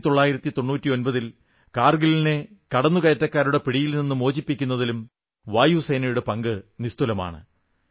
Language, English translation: Malayalam, The Air Force played a very significant role in 1999 by pushing back the intruders and liberating Kargil from their clutches